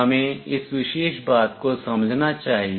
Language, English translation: Hindi, We must understand this particular thing